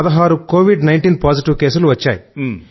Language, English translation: Telugu, Here till date, 16 Covid 19 positive cases have been diagnosed